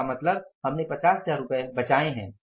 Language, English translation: Hindi, 5 lakhs it means we have saved 50,000 rupees